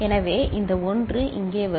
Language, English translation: Tamil, So, this 1 is coming here